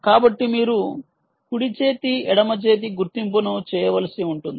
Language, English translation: Telugu, so you may have to do right hand, right hand, left hand, ah detection right